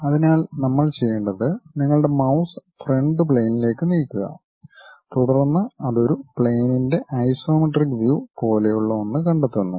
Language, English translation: Malayalam, So, for that what we have to do you, move your mouse onto Front Plane, then it detects something like a Isometric view of a plane